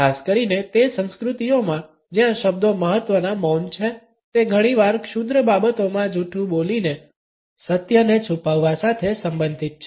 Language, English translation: Gujarati, Particularly in those cultures where words are important silence is often related with the concealment of truth passing on a fib